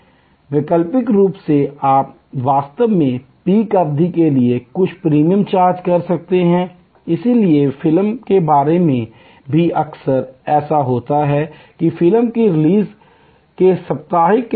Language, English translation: Hindi, Alternately you can actually charge some premium for the peak period, so movie also often to do that, that the during the weekend of the release of the movie